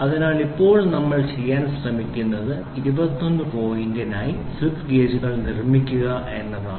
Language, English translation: Malayalam, So, now, what we are trying to do is we are trying to build slip gauges for 29 point